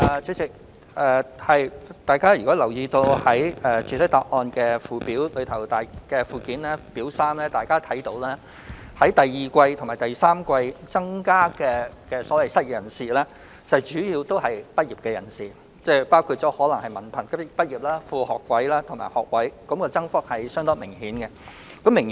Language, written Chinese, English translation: Cantonese, 主席，大家可從主體答覆附件的表三看到，本年第二季及第三季新增的失業人士，主要是本屆畢業生，包括文憑、副學位和學位畢業生，增幅相當明顯。, President as indicated in Table 3 in the Annex to the main reply the surging number of the newly unemployed in the second and third quarters of this year are mainly fresh graduates including diploma sub - degree and degree graduates